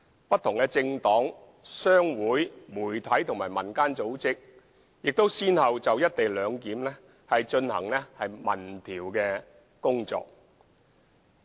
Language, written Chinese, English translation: Cantonese, 不同的政黨、商會、媒體和民間組織先後就"一地兩檢"進行民調工作。, Various political parties chambers of commerce media organizations and community organizations have conducted respective public opinion surveys on the co - location arrangement